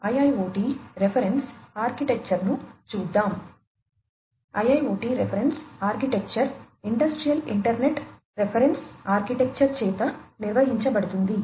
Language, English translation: Telugu, So, the IIoT reference architecture is governed by the Industrial Internet Reference Architecture